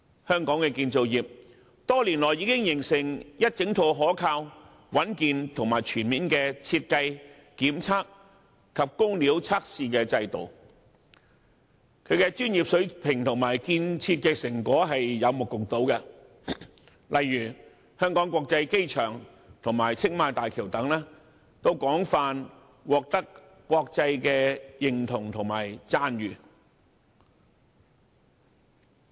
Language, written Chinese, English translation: Cantonese, 香港的建造業多年來已發展出一整套可靠、穩健而全面的設計、檢測及工料測試制度，其專業水平及建設成果有目共睹，例如香港國際機場及青馬大橋均廣泛獲得國際認同和讚譽。, Over the years our construction industry has already developed a reliable robust and comprehensive system of design inspection and material testing . The professional standards and achievements attained are evident to all . The Hong Kong International Airport and Tsing Ma Bridge for example have received worldwide recognition and praises